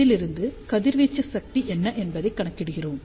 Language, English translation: Tamil, And from the power radiated, we find out what is the radiation resistance